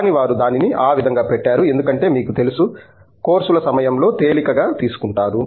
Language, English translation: Telugu, But, they pushed it that way because they had this you know, taking it easy during courses